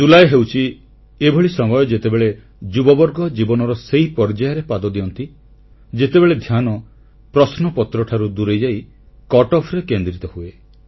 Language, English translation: Odia, July is the month when the youth step into a new phase of life, where the focus shifts from questions and veers towards cutoffs